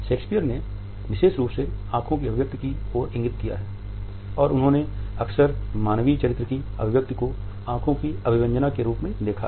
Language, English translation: Hindi, Shakespeare has particularly alluded to the expression of eyes and he has often looked at eyes as an expression of human character